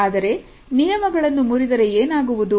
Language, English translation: Kannada, But what happens when you break those rules